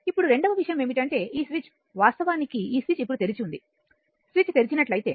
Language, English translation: Telugu, Now second thing is that this switch actually this switch is now opened right if switch is opened